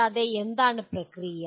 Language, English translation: Malayalam, Further, what is the process involved